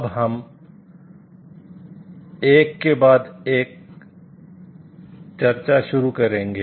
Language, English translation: Hindi, Now, we will start our discussion one by one